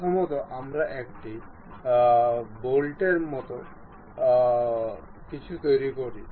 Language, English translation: Bengali, First we construct head of a bolt